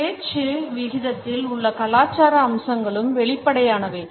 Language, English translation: Tamil, The cultural aspects in the rate of speech are also apparent